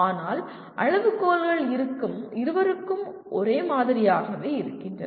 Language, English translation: Tamil, But the criteria remain the same for both